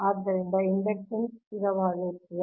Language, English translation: Kannada, therefore inductance always we will remain constant